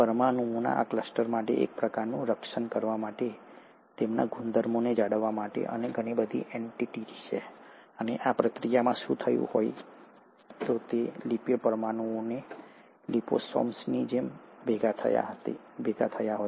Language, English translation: Gujarati, There was far more entity for these cluster of molecules to kind of guard and maintain their properties, and in the process what would have happened is that lipid molecules would have assembled like liposomes